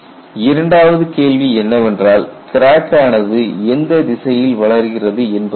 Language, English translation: Tamil, And the secondary question is what is the direction of crack propagation